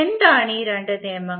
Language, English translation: Malayalam, What are these two laws